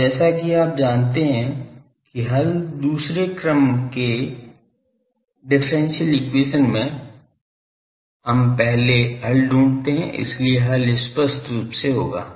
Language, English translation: Hindi, Now, the solution as you know that, in second order differential equation we first find the solution, so solution will be obviously, have